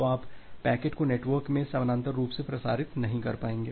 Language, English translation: Hindi, So, you will not be able to parallely transmit the packets in the network